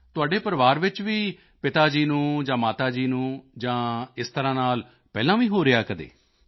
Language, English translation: Punjabi, In your family, earlier did your father or mother have such a thing